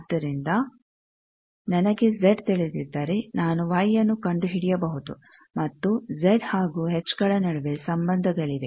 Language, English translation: Kannada, So, if I know Z I can go to Y also there are relations between Z and H